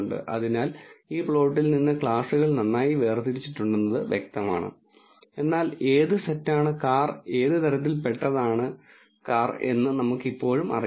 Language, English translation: Malayalam, So, from this plot it is clear that the classes are well separated, but we still do not know which site belongs to which car type